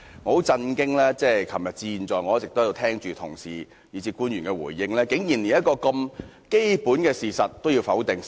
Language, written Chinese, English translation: Cantonese, 我很震驚，由昨天至現在，我一直在這裏聽着同事以至官員的回應，他們竟然連一個這麼基本的事實都要否定。, From yesterday up till now I have been listening to the responses made by Honourable colleagues and officials in this Chamber and I am very shocked that they have actually denied such a basic fact